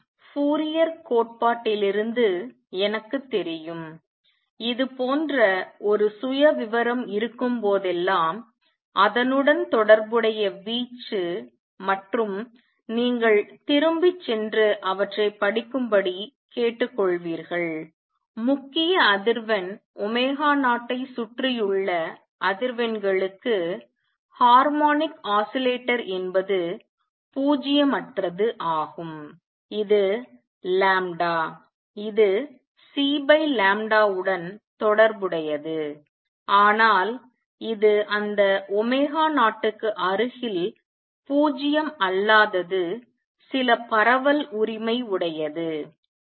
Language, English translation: Tamil, And from Fourier theory I know that whenever there is a profile like this the corresponding amplitude and you will urge you to go back and read them harmonic oscillator is nonzero for frequencies around the main frequency omega 0 which is related to this lambda as C over lambda, but this is non 0 near that omega 0 also with some spread right